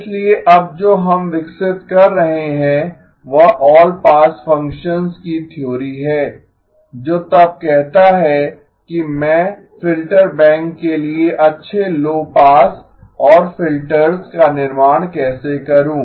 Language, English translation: Hindi, So what we are developing now is the theory of all pass functions which then says how do I construct good low pass and filters for the filter bank